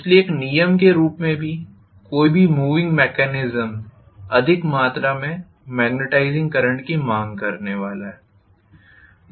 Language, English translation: Hindi, So as a rule any moving mechanism is going to demand more amount of magnetizing current as a rule, right